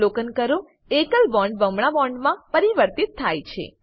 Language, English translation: Gujarati, Observe that the single bond is converted to a double bond